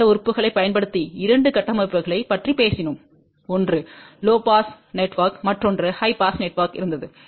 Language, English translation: Tamil, Using lumped elements we talked about two configurations one was low pass network another one was high pass network